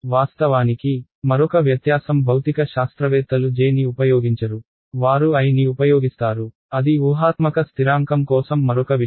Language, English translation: Telugu, Of course, another differences that are physicists will not use a j they will use i, that is another thing for the imaginary constant ah